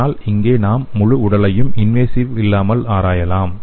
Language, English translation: Tamil, But here we can use the whole body as well as it can be non invasive